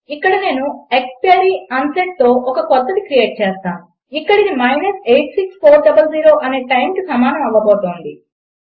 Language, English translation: Telugu, Ill create a new one with exp unset And that is gonna equal to the time minus 86400